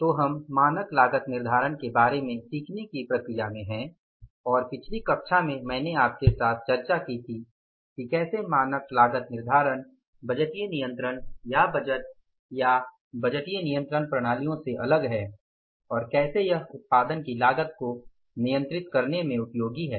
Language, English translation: Hindi, So, we are in the process of learning about the standard costing and in the previous class I discussed with you that how the standard costing is different from the budgetary control or the budget and budgetary control systems and how it is useful in controlling the cost of production